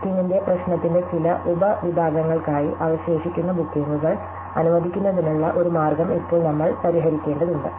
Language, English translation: Malayalam, So, therefore now we have to solve or find a way of allocating the remaining bookings for some subset of the problem of the bookings